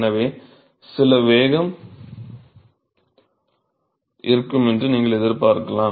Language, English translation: Tamil, So, you would expect that there will be some velocity